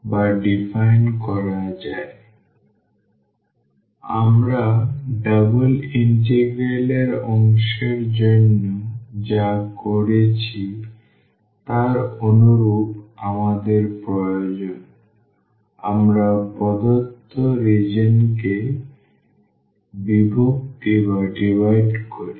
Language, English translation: Bengali, So, we need to similar to what we have done for the double integrals we divide the given region so now, our region will be a 3 dimensional in the 3 dimensional space